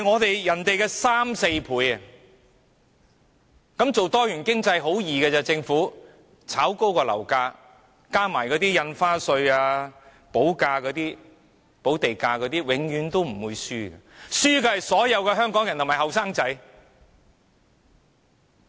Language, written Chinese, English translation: Cantonese, 這樣政府搞多元經濟有何難，只須炒高樓價，再加上印花稅和補地價，可以說一定不會輸，輸的是所有香港人和年輕人。, As such how difficult it is for the Government to attain a diversified economy? . All it needs to do is to ramp up property prices together with the revenue from stamp duty and land premium it will never lose . The only losers are all Hong Kong people and young people